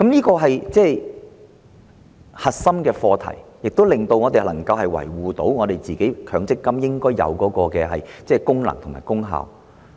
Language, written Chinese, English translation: Cantonese, 這是核心課題，這做法令我們能夠維護強積金制度應有的功能和功效。, This is the core issue and it is a way to preserve the original functions and purpose of the MPF System